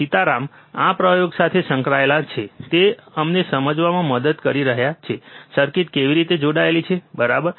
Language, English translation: Gujarati, Sitaram is involved with this experiment, he is helping us to understand, how the circuits are connected, right